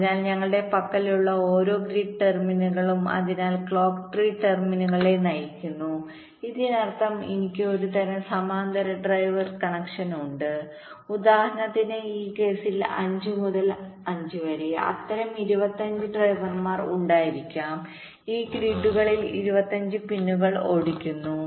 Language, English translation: Malayalam, so each of these grid terminals that we have, so the clock tree is driving these terminals, all of them, which means i have some kind of a parallel driver connection there can be, for example, in this case, five by five, there can be twenty five such drivers driving twenty five pins in this grids